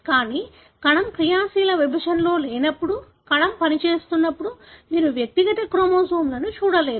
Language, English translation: Telugu, But, when the cell is not at active division, when the cell is functional, then you will not be able to see individual chromosomes